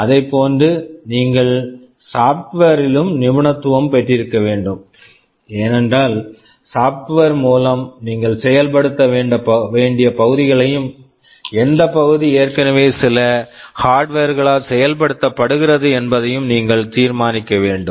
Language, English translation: Tamil, Similarly, you also need to have expertise in software, because you need to decide which parts of the implementation you need to implement in software, and which part is already implemented by some hardware